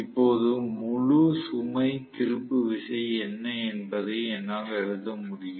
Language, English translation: Tamil, Now, I should be able to write what is the full load torque